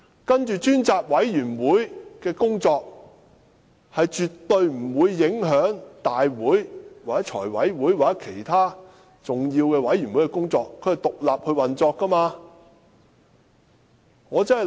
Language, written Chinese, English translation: Cantonese, 接下來，專責委員會因為運作獨立，絕對不會影響大會、財務委員會或其他重要委員會的工作。, Afterwards the select committee will work on its own having no impact on Council meetings and the work of the Finance Committee or other important committees